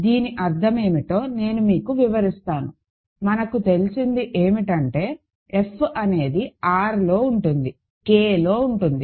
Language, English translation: Telugu, So, I will explain what; that means, it is what we have is that F is contained in R, contained in K